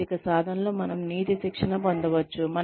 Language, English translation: Telugu, We can have ethics training, in an ethical practice